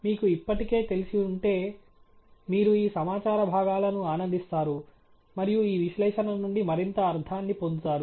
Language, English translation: Telugu, But if you are already familiar, you will enjoy these pieces of information and make more meaning out of this analysis